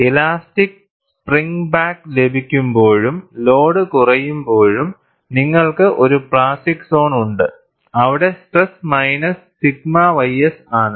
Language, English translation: Malayalam, When there is elastic spring back, and the load is reduced, you have a plastic zone, where the stress is minus sigma y s